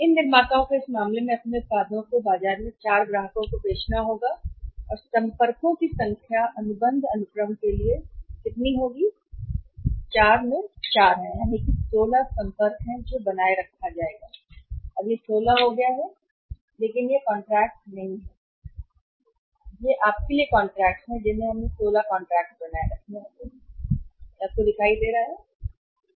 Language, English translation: Hindi, These manufacturers have to sell their products to the 4 customers in the market in this case what will happen number of contacts will be how much number of contacts for contract sequence a will be how much that is 4 into 4 that is 16 contacts will be maintained they have to be the 16 contacts not contract but it's your contacts we have to maintain 16 contacts will come up will be appearing because will be appearing